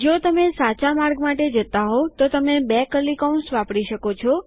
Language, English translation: Gujarati, If you are going for the True path, you can use two curly brackets